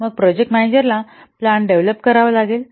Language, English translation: Marathi, Then the project manager has to develop the plan